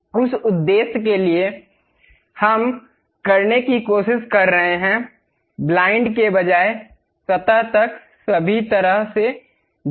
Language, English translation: Hindi, For that purpose what we are trying to do is, instead of blind; go all the way up to the surface